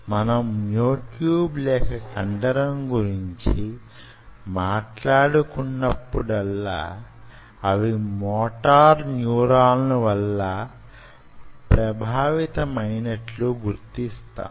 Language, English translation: Telugu, so whenever we talk about ah, myotube or a muscle, they are governed by motor neurons